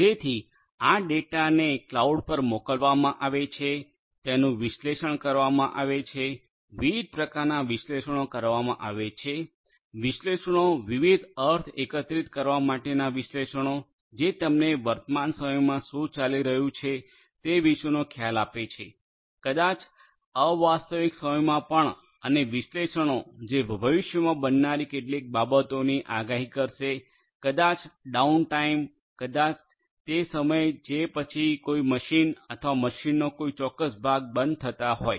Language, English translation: Gujarati, So, this data that are sent to the cloud are analyzed, lot of different types of analytics are performed, analytics to gather different meaning analytics which will give you some idea about what is going on at present real time maybe non real time as well and analytics which will predict certain things that are going to happen in the future maybe the downtime the maybe the time after which if certain machine or a certain part of a machine is going to go down